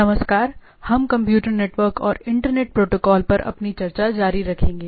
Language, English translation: Hindi, Hello, we will continue our discussion on Computer Networks and Internet Protocols